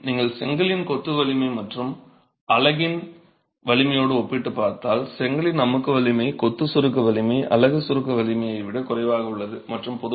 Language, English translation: Tamil, So, if you were to compare the strength of the brickwork masonry versus the strength of the unit itself, the brickwork compressive strength, masonry compressive strength, is lower than the unit compressive strength